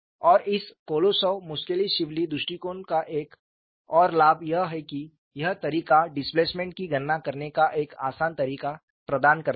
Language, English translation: Hindi, And another advantage of this Kolosov Muskhelishvili approach is, this method provides a simpler way to calculate the displacement